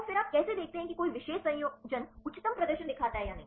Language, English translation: Hindi, So, then how do you see whether any particular combination shows the highest performance